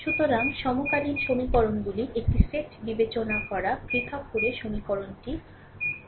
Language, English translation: Bengali, So, considered a set of simultaneous equations having distinct from, the equation is a 1 1 x 1, right